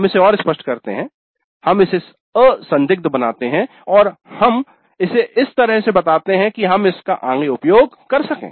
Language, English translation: Hindi, We make it more clear, we make it unambiguous and we state it in a way in which we can use it further